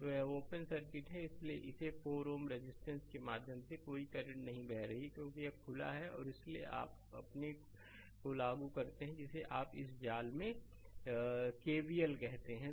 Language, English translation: Hindi, So, the this is open circuit, so no current is flowing through this 4 ohm resistance, because this is open and therefore, you apply your what you call that KVL in this mesh